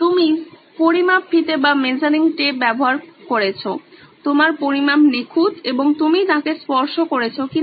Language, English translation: Bengali, You do use the measuring tape, your measurements are perfect and you have touched him